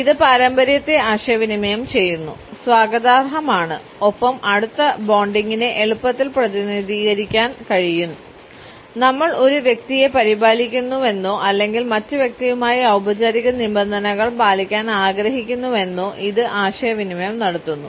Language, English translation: Malayalam, It also communicates tradition, a sense of welcome and can easily represent close bonding the fact that we care for a person or we simply want to maintain formal terms with the other person